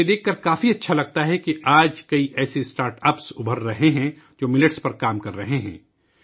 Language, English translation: Urdu, It feels good to see that many such startups are emerging today, which are working on Millets